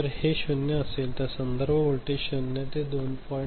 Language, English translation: Marathi, So, if it is 0, then it is it will do with this kind of reference voltage 0 to 2